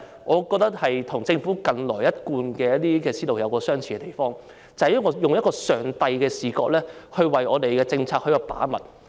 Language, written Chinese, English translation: Cantonese, 我認為，這與政府近來的思路有相似之處，就是以上帝的視覺來為我們的政策把脈。, I think this is consistent with the thinking of the Government recently that is adopting Gods view in keeping tabs on the public pulse for its policies